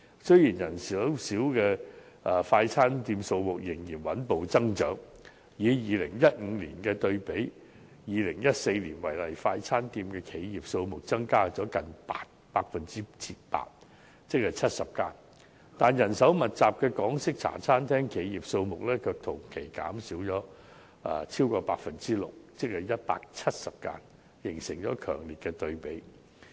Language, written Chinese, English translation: Cantonese, 雖然人手較少的快餐店數目仍然穩步增長，以2015年對比2014年為例，快餐店企業數目增加了近 8%， 即約70間，但人手密集的港式茶餐廳企業數目同期卻減少了超過 6%， 即約170間，形成了強烈對比。, Although the number of fast food shops which require less manpower is still growing steadily the number of fast food ventures in 2015 increased by nearly 8 % or about 70 compared to 2014 for instance . The number of labour - intensive Hong Kong style café ventures however decreased by more than 6 % or about 170 during the same period . That was indeed a sharp contrast